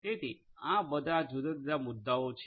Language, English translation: Gujarati, So, all of these different issues are there